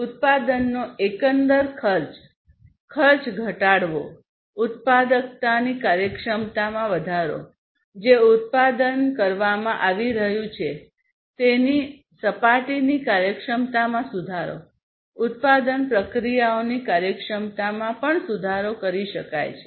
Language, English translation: Gujarati, Reducing the overall cost, cost of production; increasing the efficiency, efficiency of productivity, efficiency of the product, that is being done that is being manufactured, the improving the efficiency of the surfaces, efficiency of the production processes can also be improved